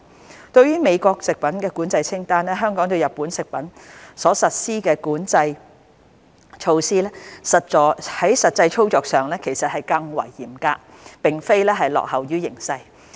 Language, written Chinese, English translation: Cantonese, 相對於美國的食品管制清單，香港對日本食品所實施的管制措施在實際操作上更為嚴格，而並非落後於形勢。, As compared to the US food control list Hong Kongs control measures on Japanese food products are in fact more stringent operationally instead of lagging behind